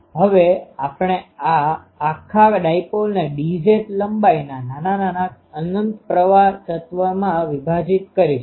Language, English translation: Gujarati, Now, at we will break this whole dipole into small infinite decimal current element, current element of length d z as